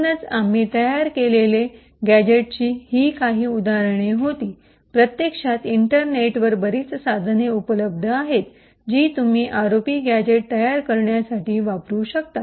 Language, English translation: Marathi, So, these were some of the examples of gadgets that we have created, in reality there are a lot of tools available on the internet which you could use to build ROP gadgets